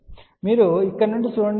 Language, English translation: Telugu, So, you look from here